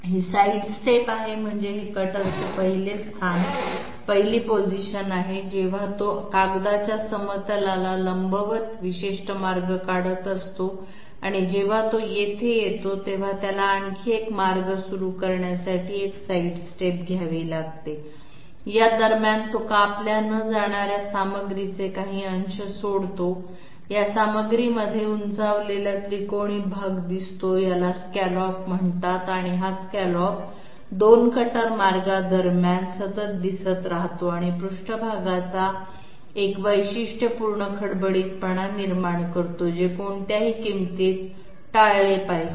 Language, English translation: Marathi, And we have to we are at present residing here, we have to somehow calculate the 2nd point at which the cutter arrives This shows the sidestep, sidestep means that this is the 1st position of the cutter when it is executing a particular path perpendicular to the plane of the paper and when it comes here, it takes a side shift to start yet another path, in between its leaves behind this uncut material which looks like an upraised triangular portion, it is called scallop and it continues throughout between the 2 cutter paths and creates a characteristic roughness of the surface which is to be avoided at all cost